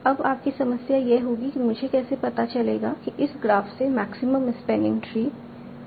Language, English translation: Hindi, Now your problem would be how do I find out what is the maximum spanning tree from this graph